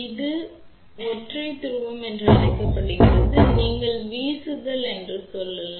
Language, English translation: Tamil, It is also called S P 1 T single pole you can say one throw ok